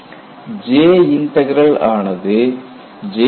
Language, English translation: Tamil, And what is the J Integral